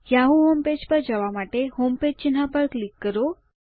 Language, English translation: Gujarati, Click on the Homepage icon to go to the yahoo homepage